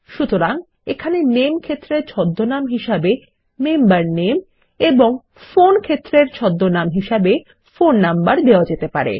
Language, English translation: Bengali, So the Name field can have an alias as Member Name and the Phone field can have an alias as Phone Number